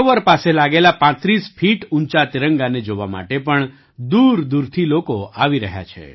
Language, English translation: Gujarati, People are also coming from far and wide to see the 35 feet high tricolor near the lake